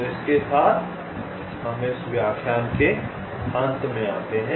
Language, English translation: Hindi, so with this we come to the end of this lecture, thank you